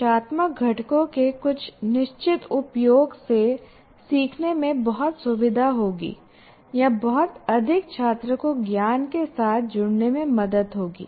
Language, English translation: Hindi, Certain use of instructional components will greatly facilitate learning or greatly facilitate the student to get engaged with the knowledge